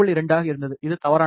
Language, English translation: Tamil, 2, which was incorrect